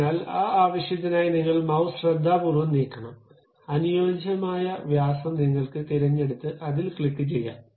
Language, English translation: Malayalam, So, for that purpose, you have to carefully move your mouse, so that suitable diameter you can pick and click that